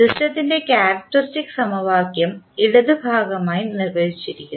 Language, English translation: Malayalam, Characteristic equation of the system is defined as the left side portion